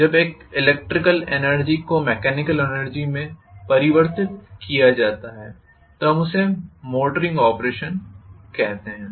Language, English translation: Hindi, When electrical energy is converted into mechanical energy we call that as motoring operation